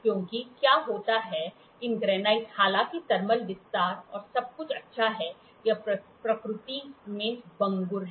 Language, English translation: Hindi, Because these granite what happens, it is though it the thermal expansion and all is very good but here it is brittle in nature